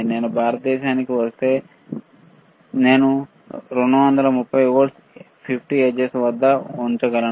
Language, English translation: Telugu, If I go to US, I can use it 8, 110 volt 60 hertz if I come to India, I can use it at 230 volts 50 hertz